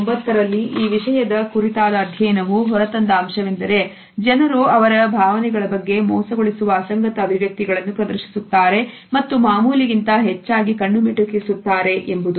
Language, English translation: Kannada, In 2008 study on the topic showed that people who are being deceptive about their emotions display inconsistent expressions and blink more often than those telling